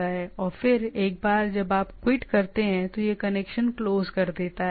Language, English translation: Hindi, And then once you quit, then it closes the connection